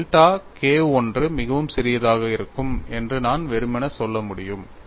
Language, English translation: Tamil, I can simply say delta K 1 would be very small; so I would simply take that as K 1